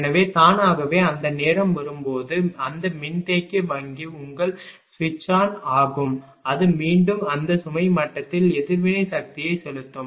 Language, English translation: Tamil, So, automatically when that time will come that is capacitor bank will be ah your switched on and it will again inject reactive power at that load level